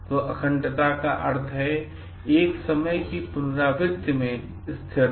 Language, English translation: Hindi, So, integrity means consistency in repetitiveness of a time